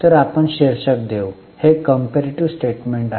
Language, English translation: Marathi, So, we will give a title, this is a comparative statement